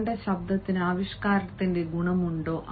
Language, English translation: Malayalam, does your voice have the quality of expressiveness